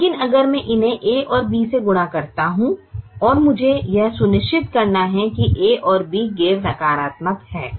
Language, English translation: Hindi, at the moment i don't know b and a and b, but if i multiply them by a and b and i have to make sure that a and b are non negative